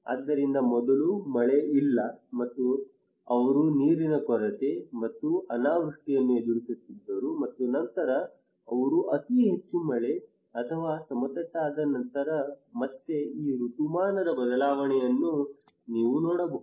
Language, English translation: Kannada, So first there is no rain and they were facing water scarcity and drought, and then they have very heavy rain or flat and then again this seasonal shift you can see